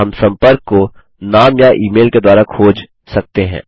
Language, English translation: Hindi, We can search for a contact using the Name or the By Email